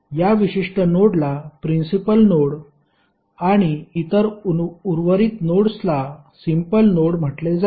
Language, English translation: Marathi, This particular node would be called as principal node and rest of the other nodes would be called as a simple node